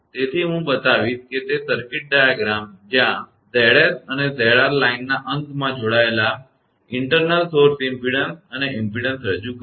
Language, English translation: Gujarati, So, I will show that that circuit diagram where Z s and Z r represent internal source impedance and impedance connected to the end of the line